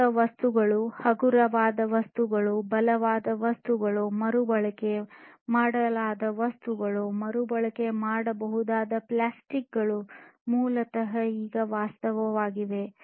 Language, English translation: Kannada, Newer materials, lighter materials, stronger materials, materials that are recyclable, recyclable plastics are basically a reality now